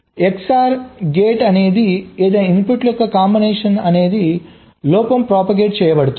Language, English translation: Telugu, so for xor gate, for any combination of the inputs, the fault will get propagated